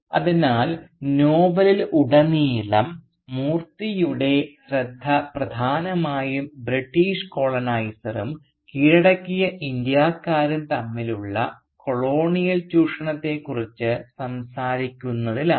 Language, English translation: Malayalam, So almost throughout the novel Moorthy's focus primarily remains on talking about the colonial exploitation which happens between the British coloniser and the subjugated Indians